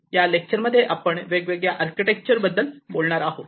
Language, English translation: Marathi, In this particular lecture, we are going to talk about the difference architecture